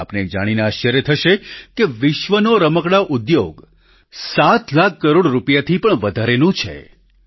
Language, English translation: Gujarati, You will be surprised to know that the Global Toy Industry is of more than 7 lakh crore rupees